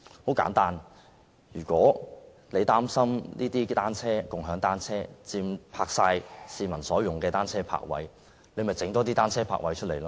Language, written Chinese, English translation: Cantonese, 很簡單，如果大家擔心"共享單車"佔用了市民所用的單車泊位，可以增設單車泊位。, It is very simple . If we are worried that the shared bicycles will occupy the bicycle parking spaces for public use additional bicycle parking spaces can be provided